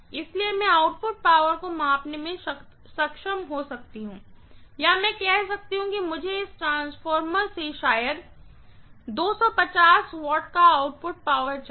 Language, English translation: Hindi, So, I may be able to measure the output power or I may say that I want an output power of maybe 250 watts from this transformer